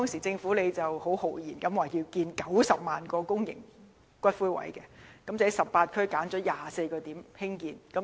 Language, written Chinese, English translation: Cantonese, 政府當時豪言要興建90萬個公營龕位，在18區揀選了24個興建地點。, At that time the Government boasted that it would provide 900 000 public niches and it even had identified 24 sites in 18 districts for columbaria development